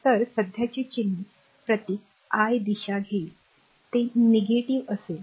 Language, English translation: Marathi, So, current signs your symbol i you will take your direction it will be negative